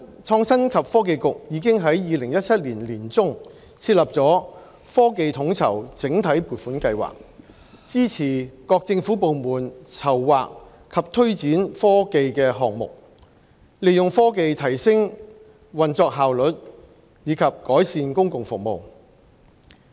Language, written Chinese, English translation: Cantonese, 創新及科技局已在2017年年中設立"科技統籌"計劃，支持各政府部門籌劃及推展科技項目，利用科技提升運作效率及改善公共服務。, The Innovation and Technology Bureau established the TechConnect block vote in mid - 2017 for supporting various government departments to formulate and promote technology schemes with a view to enhancing work efficiency and improving public services with the aid of technology